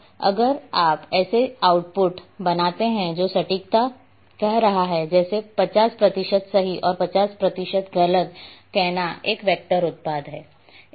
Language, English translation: Hindi, And if you create an output which is having say accuracy something like say 50 percent correct 50 percent wrong is a useless product